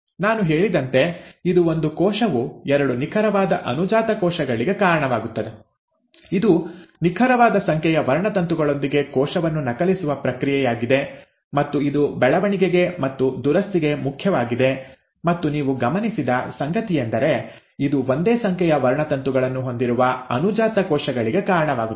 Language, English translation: Kannada, As I said, it is a process in which one cell gives rise to two exact daughter cells, it is a process of cell copying itself with exact number of chromosomes and it is important for growth and repair and what you notice is that, it gives rise to daughter cells with same number of chromosomes